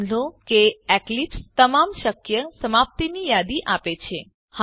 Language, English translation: Gujarati, Notice that eclipse gives a list of all the possible completions